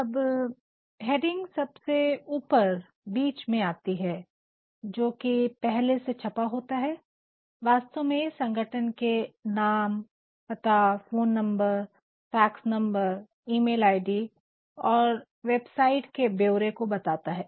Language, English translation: Hindi, Now, this heading comes in the top center of the letter which is already printed, it actually denotes the name of the organization and the address along with the phone numbers, fax numbers, emails, email id’s or website details